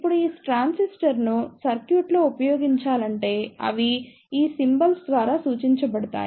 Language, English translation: Telugu, Now, if these transistors is to be used in circuit, they are represented by these symbols